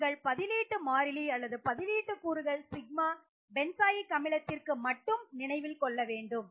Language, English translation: Tamil, And remember when you think about the substituent constant or substituent parameters Sigma it is only the benzoic acid reaction that you are thinking about